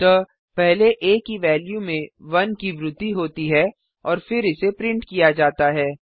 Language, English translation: Hindi, So the value of a is first incremented by 1 and then it is printed